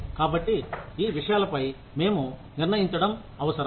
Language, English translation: Telugu, So, we need to decide, on these things